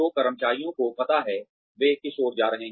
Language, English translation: Hindi, So, the employees know, what they are heading towards